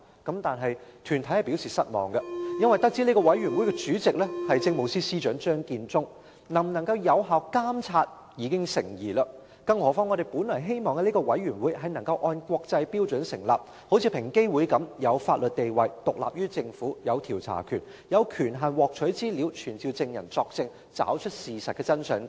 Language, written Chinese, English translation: Cantonese, 但是，有關團體卻表示失望，這個委員會的主席是政務司司長張建宗，能否受到有效監察已經成疑；更何況我們本來希望這個委員會能夠根據國際標準成立，有如平等機會委員會般具法定地位，獨立於政府，也有調查權，有權限獲取資料，並可傳召證人作證，找出事實真相等。, However some groups have expressed disappointment that the Chairperson of the Commission is Chief Secretary for Administration Matthew CHEUNG casting doubts about effective monitoring on the Commission . Moreover we initially hoped that the Commission would be established according to international standards so that similar to the Equal Opportunities Commission it has a statutory status and is independent of the Government while also being vested investigative powers the authority to access information and the ability to summon witnesses to testify so as to find out the truth etc